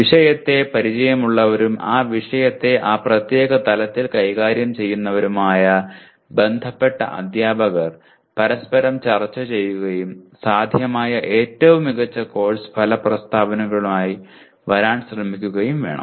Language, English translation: Malayalam, That the concerned teachers who are familiar with the subject matter and dealing with that subject matter at that particular level should discuss with each other and try to come with best possible set of course outcome statements